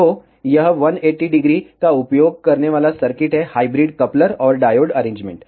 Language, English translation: Hindi, So, this is the circuit using 180 degree hybrid coupler and a diode arrangement